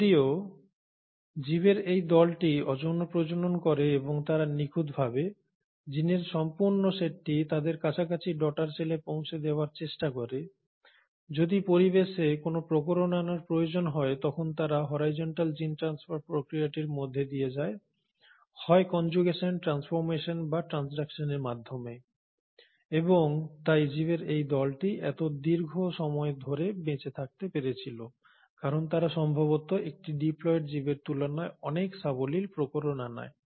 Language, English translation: Bengali, So although these group of organisms reproduce asexually and they try to, in their all complete honesty, pass on the complete set of genes as close to themselves the daughter cells, if there is a need in the environment to acquire variation they do undergo the process of horizontal gene transfer, either through the process of conjugation, transformation or transduction and hence these group of organisms have managed to survive for such a long time because they are far more amiable to variations than probably a diploid organism